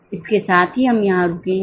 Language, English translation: Hindi, With this we will stop here